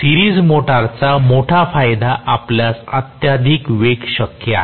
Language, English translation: Marathi, Series motor the major advantage you will have extremely high speed possible